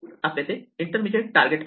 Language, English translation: Marathi, So, we have an intermediate target